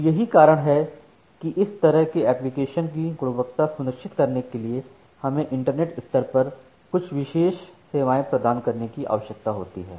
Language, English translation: Hindi, So, that is why or to ensure such kind of application quality we need to provide certain special services at the internet level